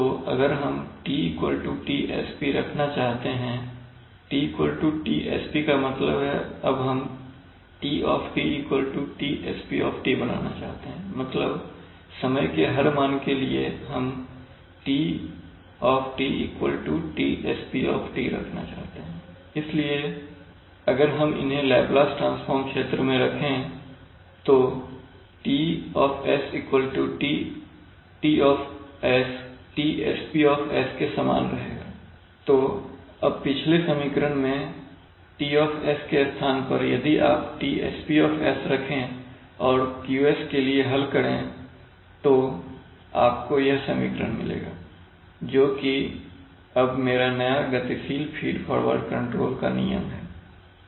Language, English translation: Hindi, So if we have, if we want to keep T is equal to Tsp, T is equal to Tsp means, we want to now make T is equal to Tsp that is every time instant not the final values every time instant we want to keep T is equal to Tsp, then obviously if we consider them in the Laplace transform domain then T will be equal to Tsp, so now we can, in the previous equation where we had T in the left hand side if you put Tsp there and then solve for Q you will get this equation which is now my new dynamic feed forward control law, very interesting to see that you are, so you see that the set point change now is multiplied by one by one plus s tau, what does it mean